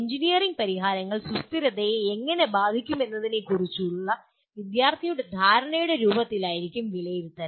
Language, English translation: Malayalam, Assessment could be in the form of student’s perception of impact of engineering solutions on sustainability